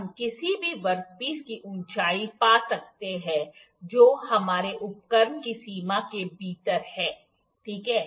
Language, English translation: Hindi, We can find height of any work piece that is within the range of our instrument, ok